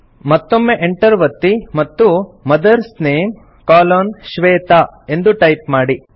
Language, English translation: Kannada, Again press the Enter key and type MOTHERS NAME colon SHWETA